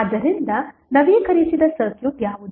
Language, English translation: Kannada, So, what would be the updated circuit